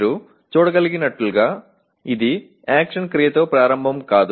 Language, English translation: Telugu, As you can see it does not start with an action verb